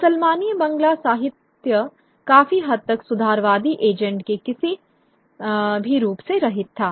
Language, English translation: Hindi, The Muslimi Bangla literature was by and large devoid of any form of reformist agenda